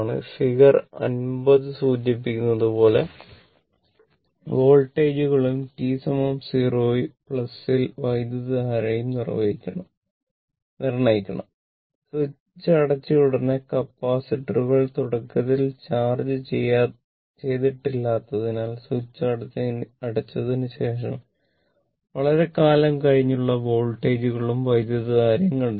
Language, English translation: Malayalam, So, figures 50 determine the indicated voltages and current at t is equal to 0 plus immediately after the switch closes also, find these voltages and current a long time after the switch closes given that capacitors are initially uncharged